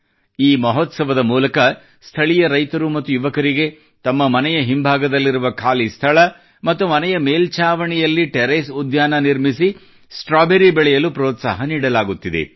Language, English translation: Kannada, Through this festival, farmers and youth are being encouraged to do gardening and grow strawberries in the vacant spaces behind their home, or in the Terrace Garden